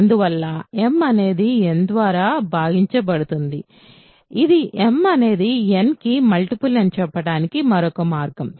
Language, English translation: Telugu, And, hence m is divisible by n which is another way of saying m is a multiple of n right